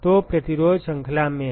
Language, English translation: Hindi, So, the resistances are in series